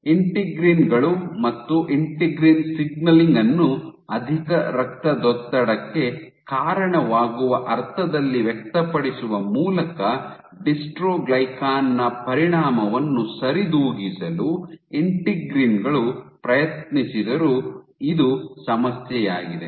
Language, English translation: Kannada, So, this is the problem though the integrins try to compensate the effect of dystroglycan by over expressing integrins and integrin signaling in a sense it leads to hypertension